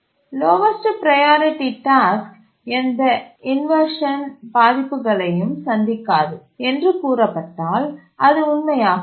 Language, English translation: Tamil, If we said the lowest priority task does not suffer any inversions, that would be true